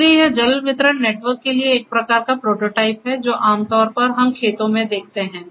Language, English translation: Hindi, So, it is kind of a prototype for water distribution network, what usually we see in the fields